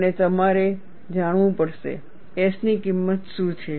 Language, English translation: Gujarati, And you have to know, what is the value of S